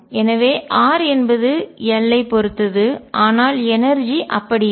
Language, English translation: Tamil, So, r depends on l, but the energy does not